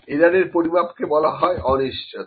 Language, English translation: Bengali, Estimate of the error is known as uncertainty